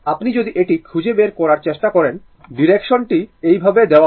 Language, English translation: Bengali, If you try to find out this, I the direction is taken in this way direction is taken in this way